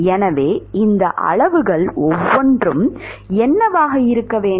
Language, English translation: Tamil, So, what should be each of these quantities